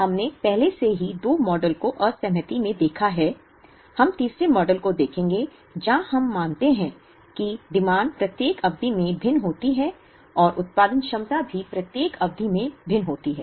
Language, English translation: Hindi, We have already seen 2 models in disaggregation, we will look at the third model, where we consider that the demand varies in each period and the production capacity also varies in each period